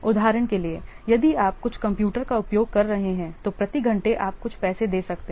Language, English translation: Hindi, For example, if you are using what some computer, so then per hour you may give some money